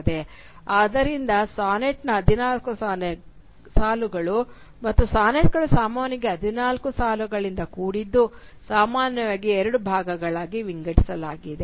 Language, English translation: Kannada, So the fourteen lines of a sonnet, and sonnets are usually composed of fourteen lines, are usually divided into two parts